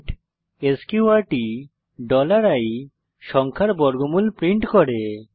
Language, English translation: Bengali, print sqrt $i prints square root of a number